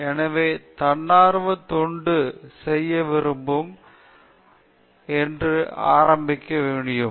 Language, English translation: Tamil, So, anyone who is willing to volunteer can get started